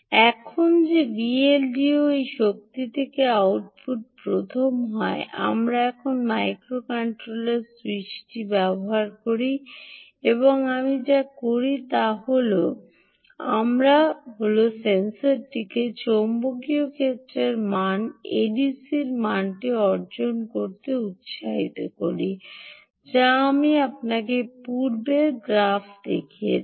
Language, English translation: Bengali, now that v l d o is the first one to be the output from this power mux, we now switch on the microcontroller and what we do is we energize the hall sensor to obtain the magnetic field value, the a d c value, which i showed you in the previous graph